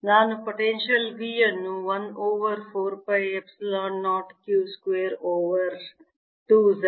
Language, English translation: Kannada, can i write the potential v as one over four, pi epsilon zero, q square over two, z zero